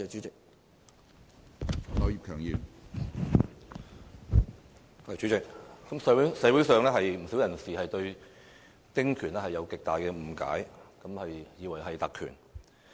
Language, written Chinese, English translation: Cantonese, 主席，社會上不少人士對丁權存有極大誤解，以為是特權。, President many people in society have a great misunderstanding that the small house concessionary right is a privilege